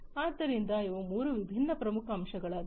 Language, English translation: Kannada, So, these are the three different key elements